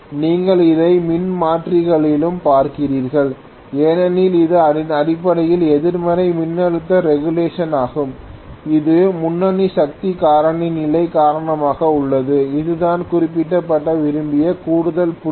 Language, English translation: Tamil, You had seen this in transformers as well, so this is essentially negative voltage regulation this is because of leading power factor condition okay, this is an additional point I just wanted to mention